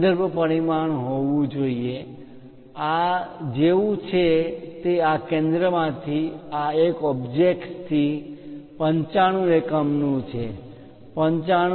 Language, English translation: Gujarati, There should be a reference dimension, something like this is 95 units from the object from this center to this one is 95